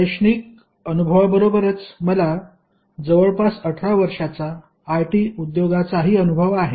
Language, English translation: Marathi, In addition to the academic experience which I have got in IITs, I also have experience in IT industry for around 18 years